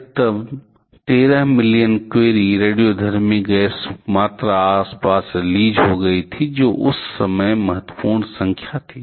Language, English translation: Hindi, A maximum of 13 million Curie amount of radioactivity gases released to the surrounding